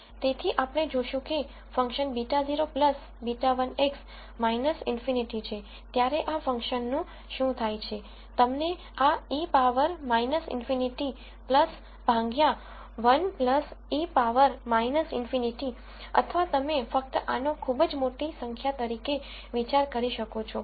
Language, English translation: Gujarati, So, we will see what happens to this function when beta naught plus beta 1 X is minus infinity, you would get this to e power minus infinity plus divided by 1 plus e power minus infinity, or you can just think of this as minus very large number